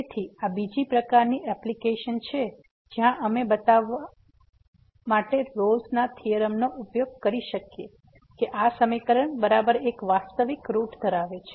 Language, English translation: Gujarati, So, this is another kind of application which where we can use the Rolle’s Theorem to show that this equation has exactly one real root